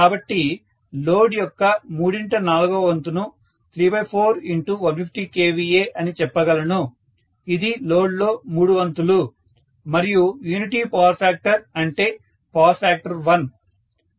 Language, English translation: Telugu, So, three fourth of load first of all I can say 3 by 4 times 150 kVA, this is three fourth of full load and unity power factor means 1 is the power factor